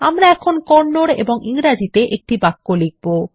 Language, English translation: Bengali, We will now type a sentence in Kannada and English